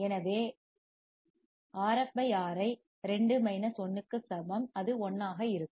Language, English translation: Tamil, So, Rf /Ri equals to 2 minus 1, it will be 1